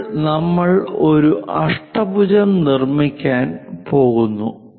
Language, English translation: Malayalam, This is the way we construct an octagon